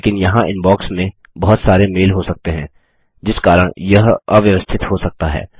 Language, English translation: Hindi, But there may be many mails in the Inbox Therefore it may be cluttered